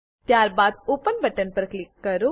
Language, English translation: Gujarati, Then, click on the Open button